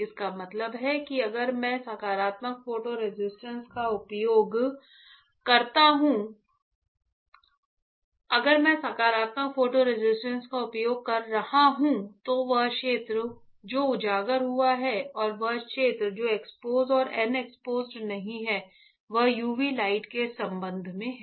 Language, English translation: Hindi, That means, that if I am using positive photo resist then the area which is exposed and the area which is unexposed a expose and unexpose is with respect to UV light right